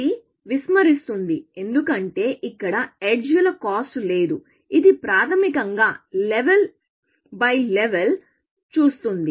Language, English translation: Telugu, Ignore, because it does not say cost of the edges; it basically, sees it as level by level